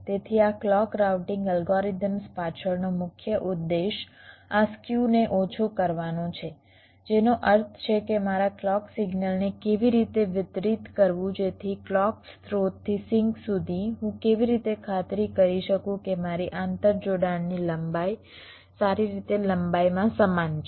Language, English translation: Gujarati, so the main objective behind these clock routing algorithms is to minimize this skew, which means how to distribute my clock signal such that, from the clock source down to the sink, how i can ensure that my inter connection lengths are all equal in length